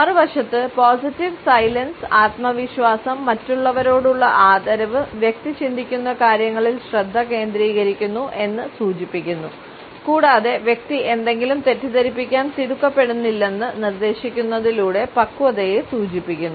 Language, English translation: Malayalam, On the other hand positive silence indicates confidence, respect for others, focus on what the person is thinking and at the same time maturity by suggesting that the person is not in hurry to blurt out something